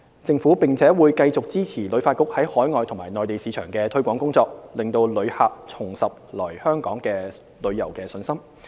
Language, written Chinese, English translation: Cantonese, 政府並會繼續支持旅發局在海外及內地市場的推廣工作，令旅客重拾來港旅遊的信心。, Also the Government will continue to support HKTBs promotion work in overseas and the Mainland markets to restore visitors confidence in visiting Hong Kong